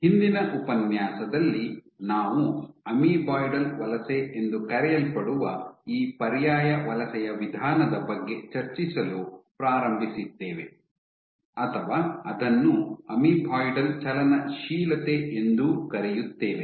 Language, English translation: Kannada, So, in last lecture we had started this alternate mode of migration called amoeboidal migration, amoeboidal motility